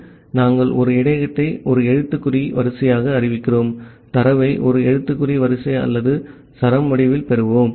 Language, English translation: Tamil, So, we are declaring a buffer as a character array, we will get the data in the form of a character array or a string